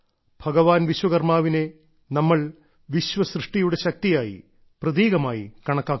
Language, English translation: Malayalam, Here, Bhagwan Vishwakarma is considered as a symbol of the creative power behind the genesis of the world